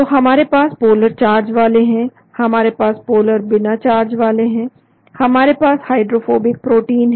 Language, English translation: Hindi, So we have the polar charged, we have the polar uncharged, we have the hydrophobic protein